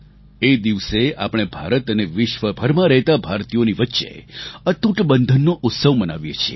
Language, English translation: Gujarati, On this day, we celebrate the unbreakable bond that exists between Indians in India and Indians living around the globe